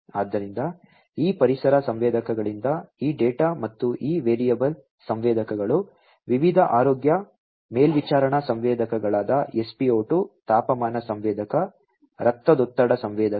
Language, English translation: Kannada, So, this data from these environmental sensors and these variable sensors like, you know, different health monitoring sensors like spo2, you know, temperature sensor blood pressure sensor and so on